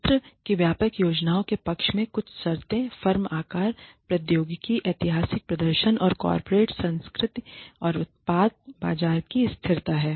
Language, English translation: Hindi, Some conditions favoring plant wide plans are firm size, technology, historical performance and corporate culture and stability of the product market